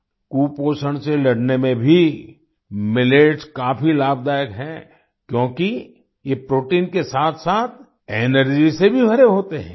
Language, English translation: Hindi, Millets are also very beneficial in fighting malnutrition, since they are packed with energy as well as protein